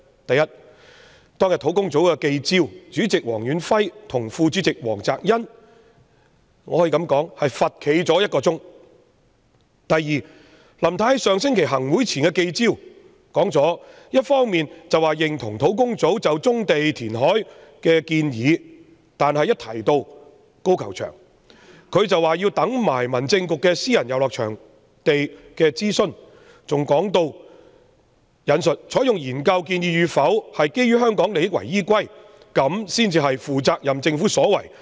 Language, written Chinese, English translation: Cantonese, 第一，當天在專責小組的記招，主席黃遠輝和副主席黃澤恩可說是罰站了1小時；第二，林太在上星期行政會議前的記招一方面表示認同專責小組就棕地和填海的建議，但一提到高球場，她則說要留待民政事務局就私人遊樂場地契約政策檢討的諮詢，還表示"採用研究建議與否是基於香港利益為依歸，這才是負責任政府所為......, First on the day of the press conference of the Task Force Chairman Stanley WONG and Vice - chairman Greg WONG were virtually made to stand for an hour . Second at the press conference before the meeting of the Executive Council last week Mrs LAM approved of the Task Forces recommendations relating to brownfield sites and reclamation . But when it came to the golf course she said it would be subject to the consultation on the Review on Policy of Private Recreational Leases conducted by the Home Affairs Bureau and added I quote Whether to adopt the recommendations of the study should be considered in the interests of Hong Kong which is the thing that a responsible government should do it would be irresponsible for the Government to uncritically accept what it is told by every consultant